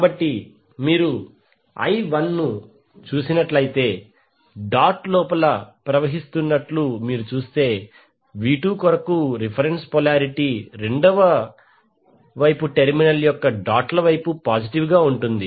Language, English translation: Telugu, So if you see the current I 1 is flowing inside the dot the reference polarity for V2 will have positive at the doted side of the terminal on the secondary side